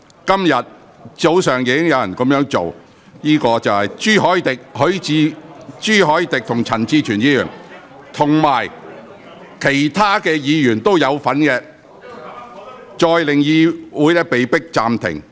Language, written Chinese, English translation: Cantonese, 今天早上又有議員這樣做，分別是朱凱廸議員和陳志全議員，亦有其他議員參與，令會議再次被迫暫停。, This morning some Members namely Mr CHU Hoi - dick and Mr CHAN Chi - chuen have done the same with the participation of some other Members . As a result the meeting has to be suspended again